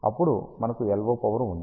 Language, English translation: Telugu, Then, we have the LO power